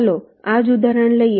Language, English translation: Gujarati, lets take this same example